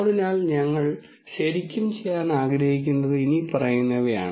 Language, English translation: Malayalam, So, what we really would like to do is the following